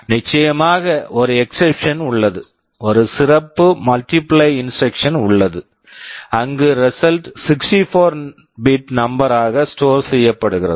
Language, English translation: Tamil, There is of course one exception; there is a special multiply instruction where the result is stored as a 64 bit number